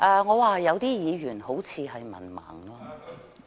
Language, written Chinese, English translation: Cantonese, 我說有些議員好像是文盲。, I said that certain Members seemed to be illiterate